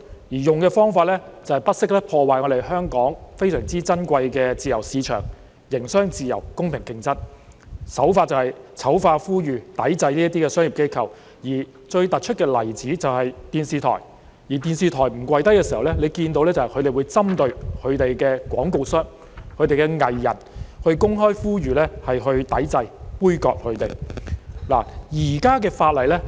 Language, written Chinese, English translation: Cantonese, 使用的方法就是不惜破壞香港非常珍貴的自由市場、營商自由、公平競爭，手法就是醜化、呼籲抵制這些商業機構，而最突出的例子就是電視台，當電視台不"跪低"時，他們會針對相關廣告商和藝人，公開呼籲抵制、杯葛他們。, The method adopted is to go so far as to destroy Hong Kongs precious free market freedom of doing business and fair competition by vilifying and calling for a boycott of these businesses . The most prominent example is a television station that refused to kowtow and they targeted the advertisers and artistes concerned and publicly called for boycotting them